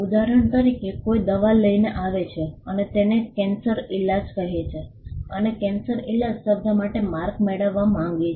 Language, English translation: Gujarati, For instance, somebody comes up with a medicine and calls it cancer cure and wants to get a mark for the word cancer cure